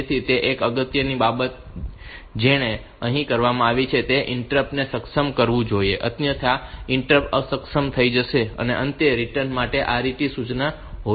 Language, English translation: Gujarati, So, one important thing that it should do here is the enable interrupt otherwise the interrupts will be disabled and finally, there should be a RET instruction for return